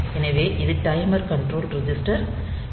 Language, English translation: Tamil, So, this is the timer control register; so, TCON